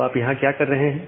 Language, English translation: Hindi, So, what you are doing here that